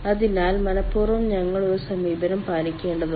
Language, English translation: Malayalam, so intentionally we have to keep some sort of approach